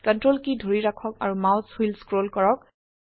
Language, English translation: Assamese, Hold CTRL and scroll the mouse wheel